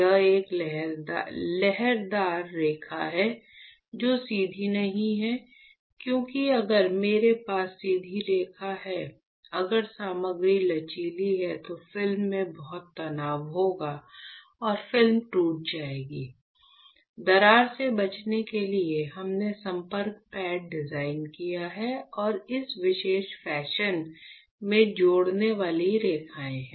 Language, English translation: Hindi, Because if I have a straight line, if I the since the material is flexible then there would be a lot of stress in the film and film will get cracked, to avoid crack we have designed the contact pads and the connecting lines in this particular fashion